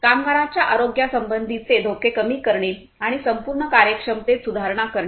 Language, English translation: Marathi, Reduction of the health hazards of the workers and improvement in overall efficiency